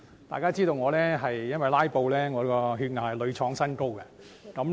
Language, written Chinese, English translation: Cantonese, 大家都知道，"拉布"令我的血壓屢創新高。, Everyone knows that when Members filibuster my blood pressure gets higher and higher